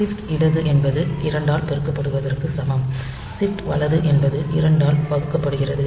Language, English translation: Tamil, Shift and left is same as multiplying by 2 and shit right is divide by 2